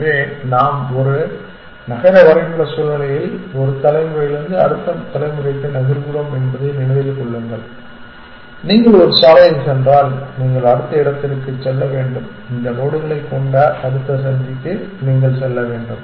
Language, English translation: Tamil, So, remember that in a city map situation we are moving from one generation to the next that once you on a road you have to go to the next you have to go to next junction which has these nodes here